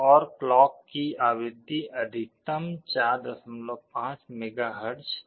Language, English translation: Hindi, And the frequency of the clock was maximum 4